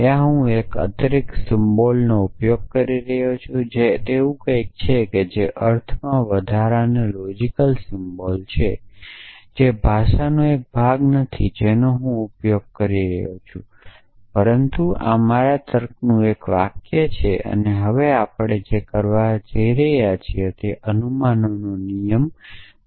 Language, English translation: Gujarati, There, I am using an additional symbol which stands for derives or something like that which is and extra logical symbol in sense it is not a part of language that I am using, but this is a sentence in my logic and what we are saying now is that rule of inference is valid